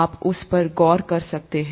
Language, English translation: Hindi, You can look at that